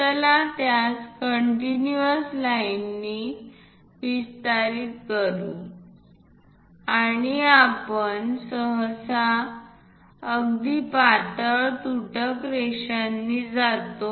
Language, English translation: Marathi, Let us extend this one by construction lines, we usually we go with very thin dashed lines